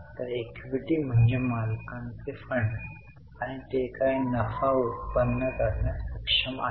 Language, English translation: Marathi, So, equity means owner's funds and what profits they are able to generate